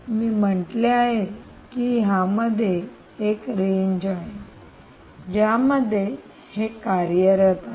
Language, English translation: Marathi, i said there is a range over which it operates